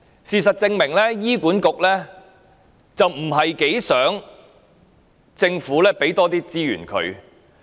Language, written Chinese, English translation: Cantonese, 事實證明，醫院管理局不太希望政府向他們增撥資源。, The reality proves that the Hospital Authority HA is not so eager to receive any additional resources from the Government